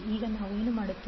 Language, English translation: Kannada, Now, what we will do